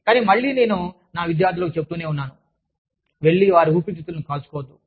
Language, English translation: Telugu, But again, i keep telling my students, do not go and burn their lungs